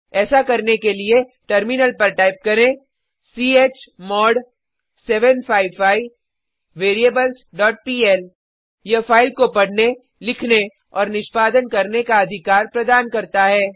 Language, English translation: Hindi, To do so, on the Terminal type, chmod 755 variables dot pl This will provide read, write amp execute rights to the file